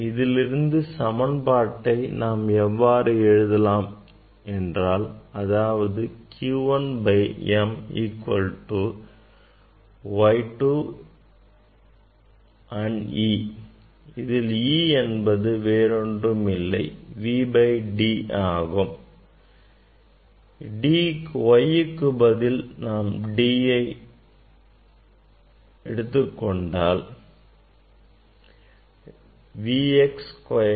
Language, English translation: Tamil, from here you can write q by m equal to Y 2 and E is nothing, but V by D, if I put V by D